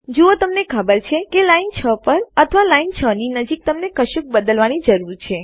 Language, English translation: Gujarati, See you know you need to change something on line 6 or nearer line 6